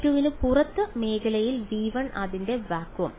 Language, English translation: Malayalam, Only inside v 2 outside v 2 in the region v 1 its vacuum